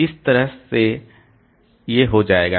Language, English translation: Hindi, So, it will go like this